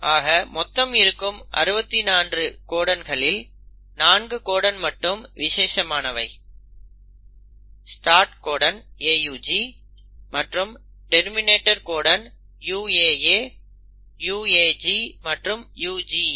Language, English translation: Tamil, So out of the 64 codons 4 codons are special; the start codon which is AUG and the terminator codons which are UAA, UAG and UGA